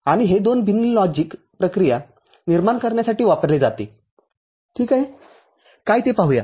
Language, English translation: Marathi, And this is used for generating 2 different logic operations ok